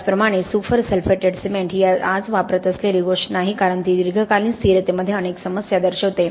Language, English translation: Marathi, Similarly super sulphated cement is not something that is in use today because it has shown lot of problems in long term stability